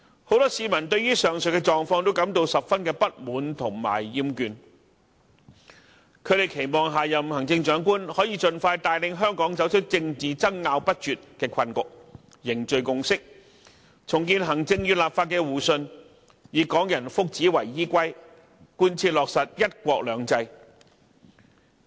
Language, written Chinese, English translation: Cantonese, 很多市民對於上述狀況均感到十分不滿和厭倦，他們期望下任行政長官能盡快帶領香港走出政治爭拗不絕的困局，凝聚共識，重建行政與立法的互信，以港人福祉為依歸，貫徹落實"一國兩制"。, Strongly dissatisfied and fed up with such a situation many people now hope that the next Chief Executive can deliver Hong Kong from the predicament of endless political disputes as soon as possible bring forth a consensus rebuild mutual trust between the executive and the legislature and fully implement the one country two systems based on the long - term well - being of Hong Kong people